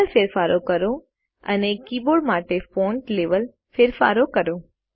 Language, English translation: Gujarati, Make changes to colours and font level changes to keyboard.Check the results